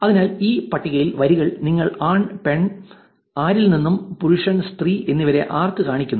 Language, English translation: Malayalam, So, this table actually shows you on the rows, it shows you from male, from female, from any one, to male, to female and to anyone